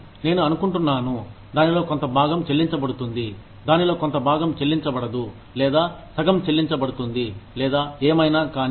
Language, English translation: Telugu, But, I think, part of it is paid in, part of it is unpaid, or half paid, or whatever